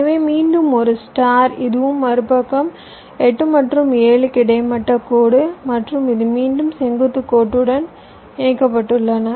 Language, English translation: Tamil, so again a star, this and this, and the other side, eight and seven, where horizontal line, and this again with the vertical line